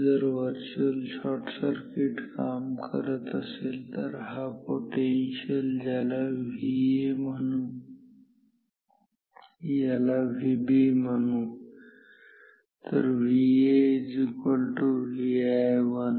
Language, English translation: Marathi, If virtual shorting works then this potential call it V A this you can call V B then V A will be equal to V i 1